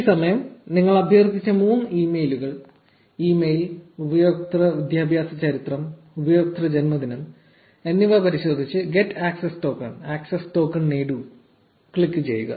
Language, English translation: Malayalam, And this time check the 3 fields that you requested for, email, user education history and user birthday and click get access token